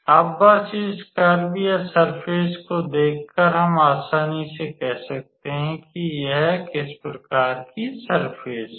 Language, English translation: Hindi, Now, just looking at this curve or at the surface we can easily say what kind of surface it is